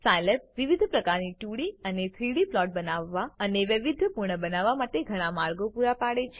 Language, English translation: Gujarati, Scilab offers many ways to create and customize various types of 2D and 3D plots